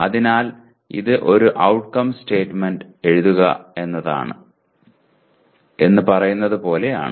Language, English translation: Malayalam, So it is as good as saying that write an outcome statement